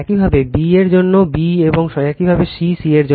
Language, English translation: Bengali, Similarly, for b also b dash, and similarly for c c dash right